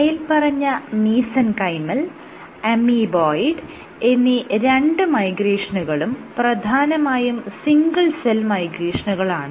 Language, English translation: Malayalam, So, both these modes in both these mesenchymal and amoeboid modes of migration I was essentially talking about single cell migration